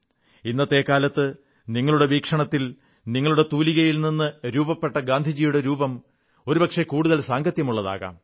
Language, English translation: Malayalam, And it is possible that in present times, from your viewpoint, the penpicture of Gandhi sketched by you, may perhaps appear more relevant